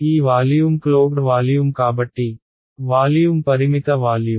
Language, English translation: Telugu, So, this volume, so the closed volume, so the volume finite volume right